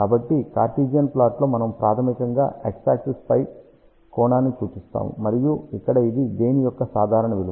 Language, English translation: Telugu, So, in Cartesian plot, we basically show the angle along the x axis and this one here is the normalized value of the gain